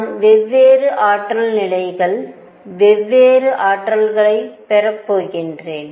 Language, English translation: Tamil, I am going to have different energy levels, different energies